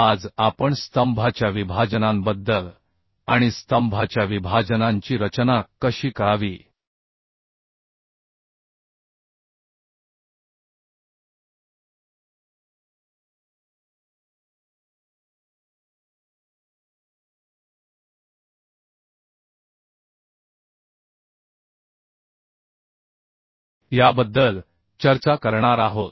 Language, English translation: Marathi, Today we are going to discuss about the column splices and how to design the column splices those things would be discussed